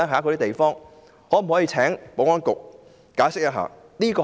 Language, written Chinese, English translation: Cantonese, 可否請保安局解釋一下？, May I ask the Security Bureau to offer an explanation?